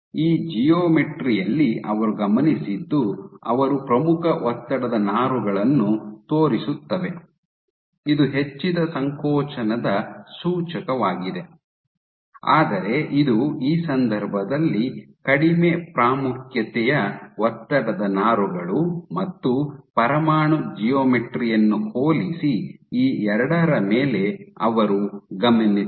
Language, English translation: Kannada, So, what they observed was on this geometry they show up prominent stress fibers, indicative of increased contractility while this was much less, less prominent stress fibers in this case and what they observed was on these two, if you were to compare the nuclear geometry ok